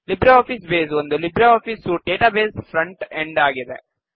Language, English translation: Kannada, LibreOffice Base is the database front end of the LibreOffice suite